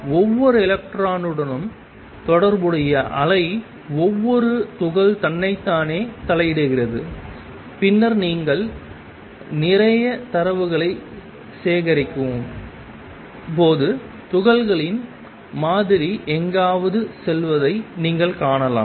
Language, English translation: Tamil, Wave associated with each electron each particle interferes with itself and then when you collect a lot of data you see the pattern emerging the particles going somewhere